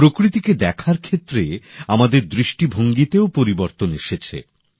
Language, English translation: Bengali, Our perspective in observing nature has also undergone a change